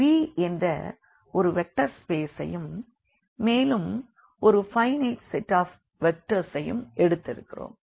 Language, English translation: Tamil, So, V is a vector space we take and then a finite set of vectors